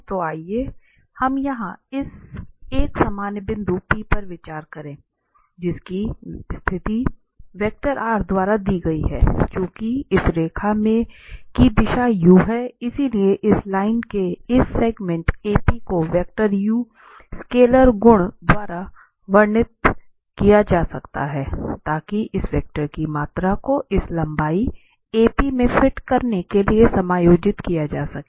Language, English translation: Hindi, Then, since this direction of this line is u, so, this segment here AP of this line can be described by the vector, some multiplication, some scalar multiplication to this vector, so that the magnitude of this vector will be adjusted to fit in this length AP